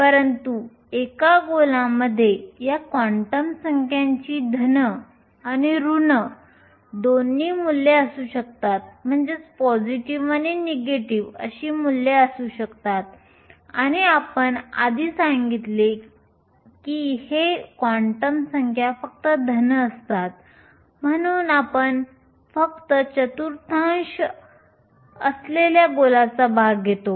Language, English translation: Marathi, But since a sphere can have both positive and negative values of these quantum numbers and since we said earlier that these quantum numbers are only positive we only take the part of the sphere lying the first quadrant